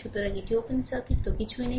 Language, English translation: Bengali, So, it is open circuit; so, nothing is there